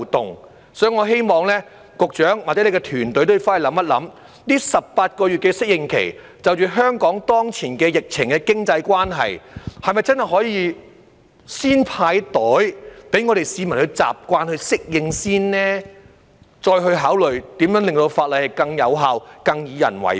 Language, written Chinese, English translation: Cantonese, 因此，我希望局長或你的團隊可以回去思考一下，在這18個月的適應期，因應香港當前疫情的經濟關係，是否真的可以先"派袋"，讓市民先習慣及適應，再考慮如何令法例更有效、更以人為本？, Therefore I hope the Secretary and your team will go back and think it over . In the light of the economic situation of Hong Kong under the current epidemic would it be possible to first distribute garbage bags during the 18 - month preparatory period to allow the public to get used to and adapt to the arrangement before giving consideration to making the law more effective and people - oriented?